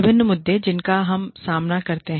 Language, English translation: Hindi, Various issues, that we face